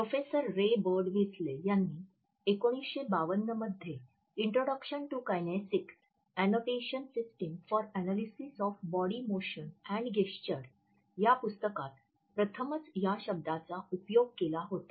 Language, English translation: Marathi, Professor Ray Birdwhistell, had used it for the first time in 1952 in his book Introduction to Kinesics: An Annotation System for Analysis of Body Motion and Gesture